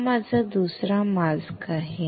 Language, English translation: Marathi, This is my second mask